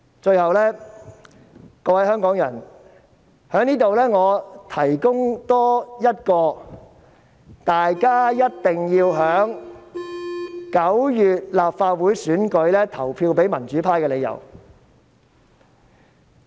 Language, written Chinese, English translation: Cantonese, 最後，各位香港人，我在這裏多提供一項大家一定要在9月立法會選舉投票予民主派的理由。, Finally fellow Hong Kong people I would like to give you one more reason why you must vote for the pro - democracy camp in the Legislative Council Election in September